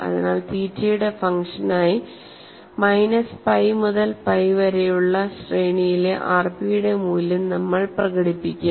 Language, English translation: Malayalam, So, we will express the value of r p, in the range minus pi to pi as a function of theta